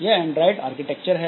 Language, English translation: Hindi, This is the Android architecture